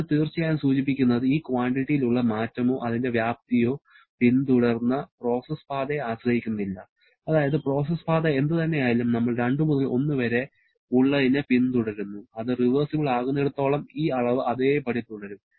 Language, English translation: Malayalam, That definitely indicates that the change or rather the magnitude of this quantity is independent of the process path that has been followed that is whatever may be the process path we are following between 2 to 1 as long as that is reversible, this quantity remain the same and therefore that has to be some property